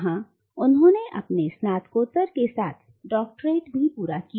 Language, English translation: Hindi, And there he completed his Masters as well as his Doctorate